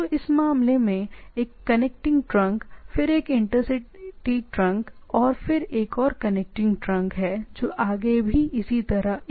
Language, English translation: Hindi, So, in this case it is connecting trunk, then intercity trunk and then another connecting trunk and going on the things